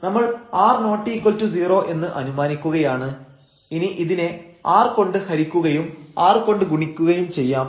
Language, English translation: Malayalam, So, let us assume this r not equal to 0 we can divide by r and multiplied by r